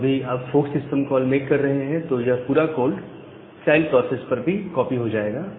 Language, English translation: Hindi, So, in operative system, this fork system call creates a child process